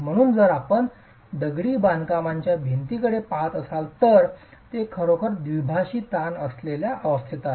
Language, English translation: Marathi, So, if you look at masonry wall, it's really in a state of biaxial stresses